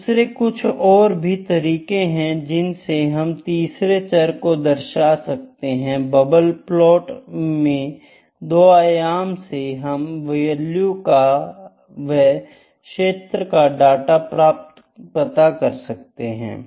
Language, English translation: Hindi, And, the certain other ways to represent the third variable bubble plot is one that in 2 dimensions we can just see the value of or the field of the data here